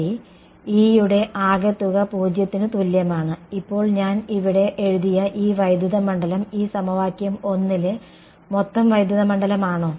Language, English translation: Malayalam, Right, E total is equal to 0 right; now this electric field that I have written over here is it the total electric field in this equation 1, is it